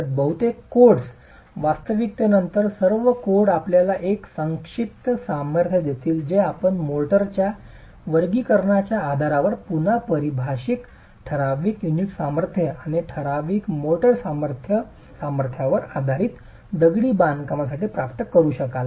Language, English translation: Marathi, So most codes, in fact all codes would actually then give you the compressive strength that you will be able to achieve for masonry based on typical unit strengths and typical motor strengths defined again based on the classification of the motor